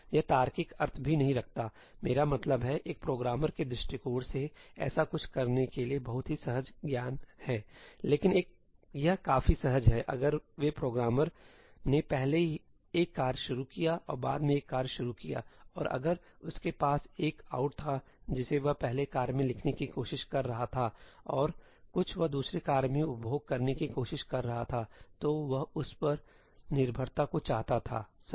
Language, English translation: Hindi, It does not make logical sense also; I mean, from a programmerís point of view, it is very counter intuitive to do something like that; but this is quite intuitive that if they programmer launched a task first and launched a task later and if he had an ëoutí something he was trying to write out in the first task and something he was trying to consume in the second task, then he wanted that dependence, right